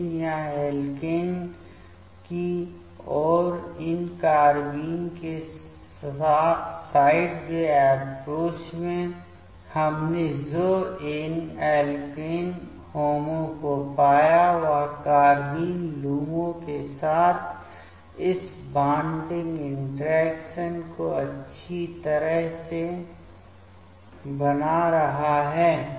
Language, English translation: Hindi, But here in the sideway approach of these carbene towards alkene, what we found these alkene HOMO is nicely making this bonding interactions with the carbene LUMO